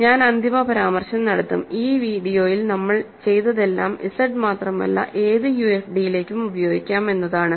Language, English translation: Malayalam, And I will final remark, I will make in this video is that everything that we have done in this video carries over to any UFD, not just Z